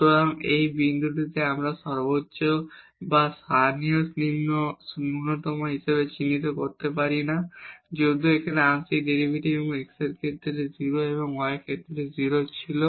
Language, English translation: Bengali, So, this point we cannot identify as the local maximum or local minimum though the partial derivatives here at this point was 0 with respect to x and with respect to y but